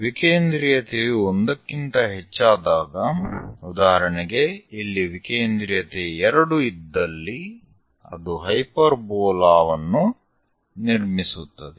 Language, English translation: Kannada, And when eccentricity is greater than 1 for example like 2 eccentricity here, it construct a hyperbola